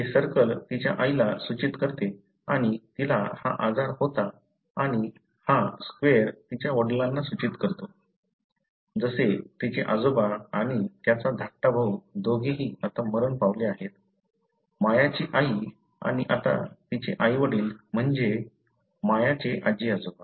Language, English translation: Marathi, The circle denotes her mother and she had the disease and this square denotes her father, as did her maternal grandfather and his younger brother both of whom are now dead; Maya’s mother and now her parents that is Maya’s grand parents